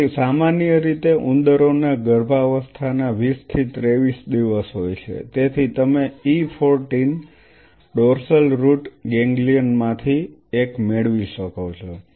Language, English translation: Gujarati, So, generally rats have this 20 to 23 day of pregnancy, so you can get one from E 14 dorsal root ganglion